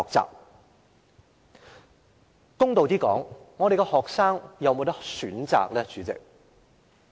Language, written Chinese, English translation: Cantonese, 主席，公道一點，學生有否選擇呢？, President to be fair do students have a choice?